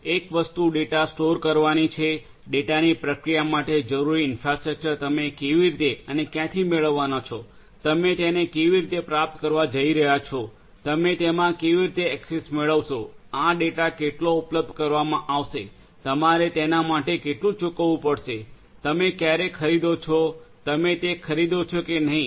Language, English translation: Gujarati, One thing is storing the data, how do how and where you are going to get the infrastructure that is necessary for the processing of the data, how you are going to get it, how you are going to get access to it, how much of this data will be made available, how much you have to pay for it, when do you buy whether you at all you buy or not